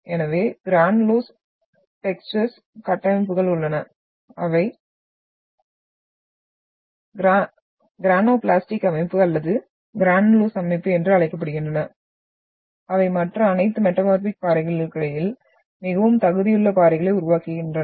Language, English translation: Tamil, So granulose textures, we have structures which we also termed as granoblastic texture or granulose texture, makes them more competent rocks amongst all other metamorphic rocks